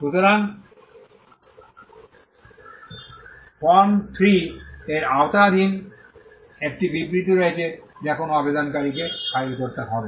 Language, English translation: Bengali, So, there is a statement of undertaking under Form 3 which an applicant has to file